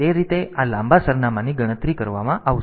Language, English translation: Gujarati, So, that way this long address will be calculated